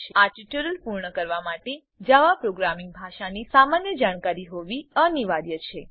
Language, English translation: Gujarati, To finish this tutorial, basic knowledge in the Java Programming Language is necessary